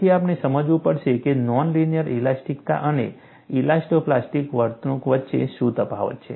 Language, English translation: Gujarati, So, we will have to understand, what is the difference between non linear elasticity and elasto plastic behavior